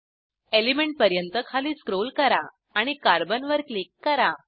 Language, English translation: Marathi, Scroll down to Element and click on Carbon